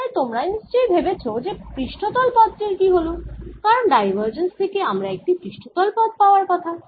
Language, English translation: Bengali, so you may be wondering what happened to this surface term, because this divergence is suppose to give me a surface term